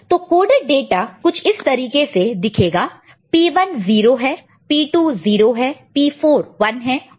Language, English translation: Hindi, So, then the coded data will look like this 0 0 because P 1 is 0, P 2 is 0, P 4 is 1